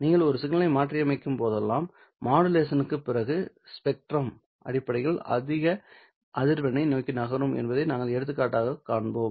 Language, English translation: Tamil, Well, whenever you modulate a signal, we have seen that after modulation the spectrum would essentially move towards the higher frequencies